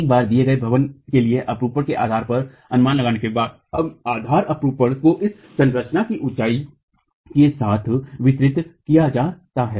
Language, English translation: Hindi, Once the base share is estimated for a given building, this base share is then distributed along the height of a structure